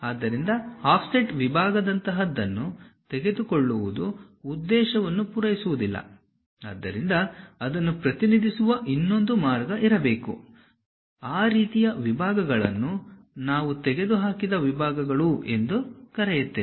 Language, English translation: Kannada, So, just taking something like offset section does not serve the purpose; so there should be another way of representing that, that kind of sections what we call removed sections